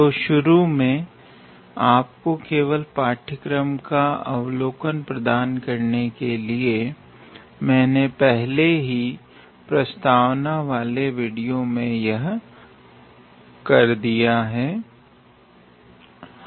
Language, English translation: Hindi, So, to begin with just to give you an overview of the course, I have already done that in the introductory video